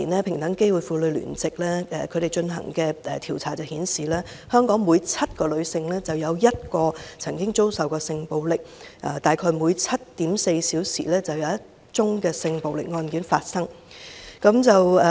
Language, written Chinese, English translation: Cantonese, 平等機會婦女聯席在2013年進行的調查顯示，香港每7名女性，便有1名曾經遭受性暴力，大概每 7.4 小時，便有一宗性暴力案件發生。, The survey conducted by Hong Kong Womens Coalition on Equal Opportunities in 2013 shows that one in every seven women in Hong Kong has been subject to sexual violence and there is one case of sexual violence approximately every 7.4 hours